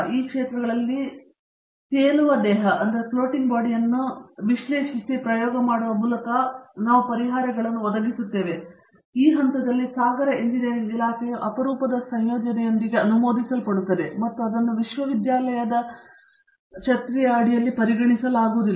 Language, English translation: Kannada, That we do offer solutions in these areas by analysing and experimenting with the kind of floating body that they have in their hands, to that extent the department of ocean engineering is well endorsed with the very rare combination of facilities which cannot be thought of under the university umbrella